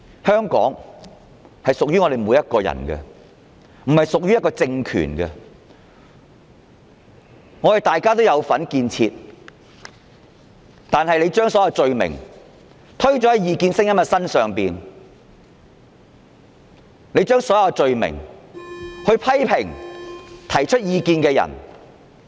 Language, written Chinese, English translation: Cantonese, 香港屬於每一位市民，而非屬於一個政權，大家也有參與建設，但政府要把所有罪名加諸異見者身上，批評及拘捕提出異見的人。, Hong Kong belongs to every member of the public rather than any political regime . All of us have played a part in its development . Yet the Government wants to press all kinds of charges on the dissidents